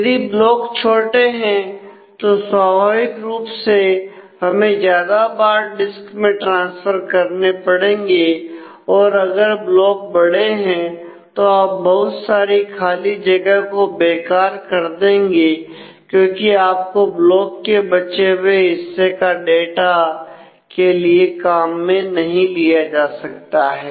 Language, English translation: Hindi, If the blocks are smaller than naturally will need more transfers from the disk if the blocks are larger then you might waste lot of space because your part of the block will not can be used with the data